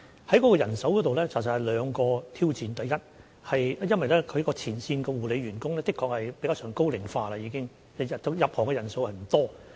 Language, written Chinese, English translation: Cantonese, 在人手方面，其實有兩項挑戰，第一，前線護理員工確實有高齡化的情況，新加入行業的人數不多。, We are actually facing two challenges in terms of manpower . First there is the ageing problem among frontline care staff while not many people join this sector